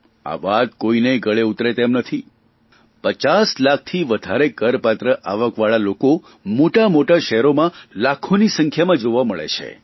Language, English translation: Gujarati, People having a taxable income of more than 50 lakh rupees can be seen in big cities in large numbers